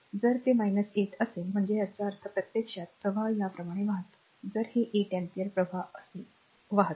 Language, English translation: Marathi, If it is minus 8 means that ah; that means, current actually is flowing like this it is flowing like this , if this 8 ampere the current is flowing like this ah, right